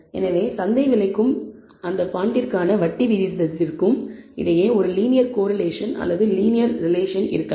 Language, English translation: Tamil, So, there might be a linear correlation or linear relation between the market price and the interest rate for that bond